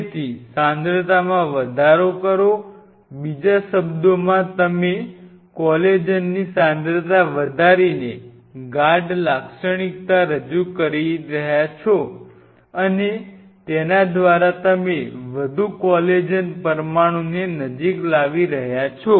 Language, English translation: Gujarati, So, increasing the concentration, in another word what you are doing you are increasing the you are introducing a depth feature by increasing the concentration of collagen and thereby you are bringing more collagen molecule close